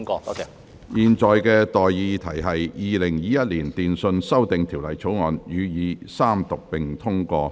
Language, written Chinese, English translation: Cantonese, 我現在向各位提出的待議議題是：《2021年電訊條例草案》予以三讀並通過。, I now propose the question to you and that is That the Telecommunications Amendment Bill 2021 be read the Third time and do pass